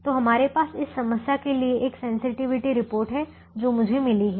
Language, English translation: Hindi, so we have a sensitivity report for this problem which i have got